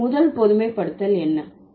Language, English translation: Tamil, So, what is the first generalization